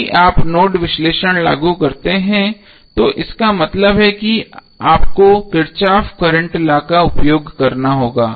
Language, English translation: Hindi, So if you apply nodal analysis that means that you have to use Kirchhoff’s current law here